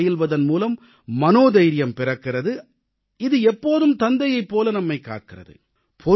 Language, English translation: Tamil, The practice of yoga leads to building up of courage, which always protects us like a father